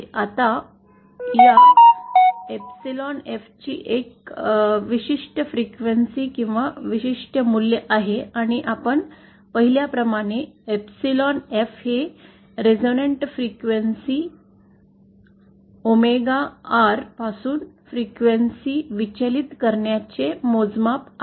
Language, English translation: Marathi, Now the, there is a particular frequency or particular value of this epsilon F, and epsilon F as we saw is a measure of the deviation of the frequency from the resonant frequency omega R